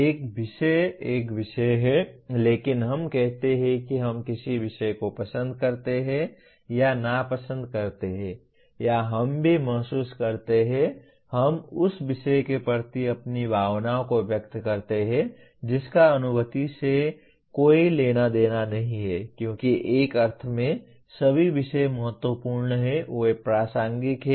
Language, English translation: Hindi, A subject is a subject but we say we like or dislike a subject or we also feel; we express our feelings towards the subject which is nothing to do with cognition because all subjects in one sense are important, they are relevant